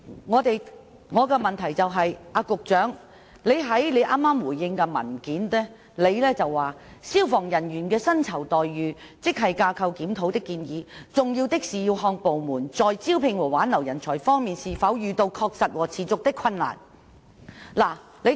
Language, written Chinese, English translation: Cantonese, 我的補充質詢是，局長剛才在答覆中指出，"關於消防處職系架構檢討的建議，重要的是要看部門在招聘和挽留人才方面是否遇到確實和持續的困難"。, My supplementary question is the Secretary has just mentioned in his reply that Regarding the suggestion of a GSR for FSD what is important is whether the Department is facing genuine and persistent difficulties in recruitment and retention